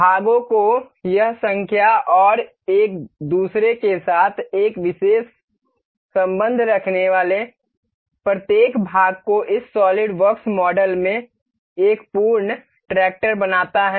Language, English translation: Hindi, This number of parts and each parts having a particular relation with each other forms a complete tractor here in this SolidWorks model